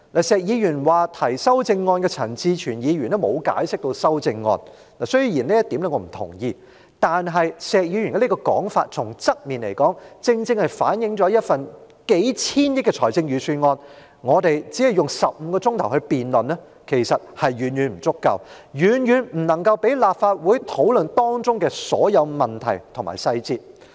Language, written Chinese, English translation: Cantonese, 石議員說提出修正案的陳志全議員沒有給予解釋，雖然我不同意這一點，但石議員這說法正正從側面反映出，對於一份數千億元的財政預算案，我們只用15小時來辯論，其實遠遠不足夠，未能讓立法會討論當中的所有問題和細節。, Mr SHEK said Mr CHAN Chi - chuen who proposed the amendment did not give any explanation . Though I disagree with him on this point Mr SHEKs comment precisely reflects indirectly that it is utterly far from adequate to spend only 15 hours on the debate of a Budget of several hundred billion dollars . Such time frame does not allow the Legislative Council to discuss all problems and details therein